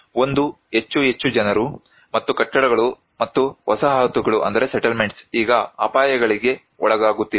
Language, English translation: Kannada, One is more and more people and buildings and settlements are now being exposed to hazards